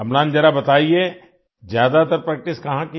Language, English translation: Hindi, Amlan just tell me where did you practice mostly